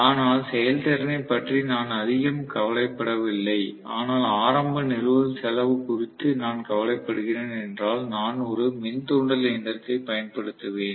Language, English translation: Tamil, But if I do not care soo much about the efficiency, but I am worried about the initial installation cost, I will rather employ induction machine